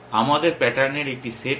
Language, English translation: Bengali, We have just a set of patterns